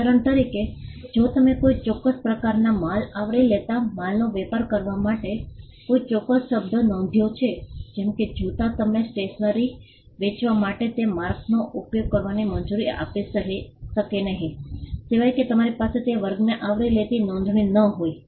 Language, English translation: Gujarati, For example, if you have registered a particular word for say trade in goods covering a particular kind of goods; say, shoes you may not be allowed to use that mark for selling stationery, unless you have a registration covering that class as well